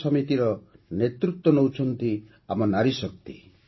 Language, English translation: Odia, This society is led by our woman power